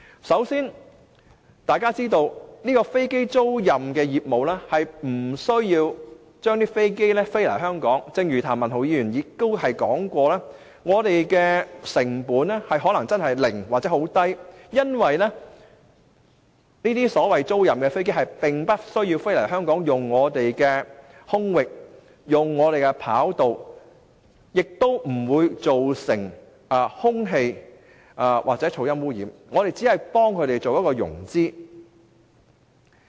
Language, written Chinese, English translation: Cantonese, 首先，大家須知道，經營飛機租賃業務並不需要將飛機飛來香港，正如譚文豪議員所說，我們的成本可能是零或者很低，因為租賃的飛機不需要飛來香港，用我們的空域及跑道，不會造成空氣或噪音污染，我們只是幫飛機租賃公司進行融資。, First of all we must understand that the operation of the aircraft leasing business does not require aircrafts flying to Hong Kong . As Mr Jeremy TAM has said our cost may be minimal if not nil because the aircrafts leased need not fly to Hong Kong use our airspace or runway and produce air or noise pollution . Our role is only to help aircraft leasing companies finance their business